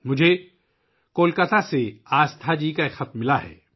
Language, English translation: Urdu, I have received a letter from Aasthaji from Kolkata